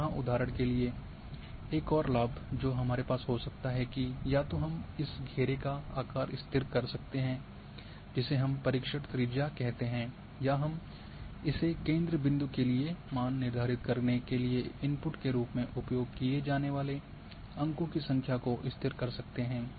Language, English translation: Hindi, And here for example now another advantage which we can have either we can fix the size of this circle the search radius we call as search radius or we can fix number of points which will be used as inputs to determine the value for this centre point